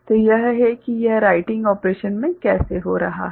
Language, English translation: Hindi, So, this is how it is taking place in writing operation